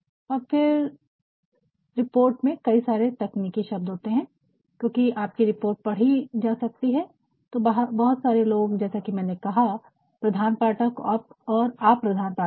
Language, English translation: Hindi, And, thenin your report there may be several technical terms and since your report can be read by so, many people as I said primary readers and secondary readers also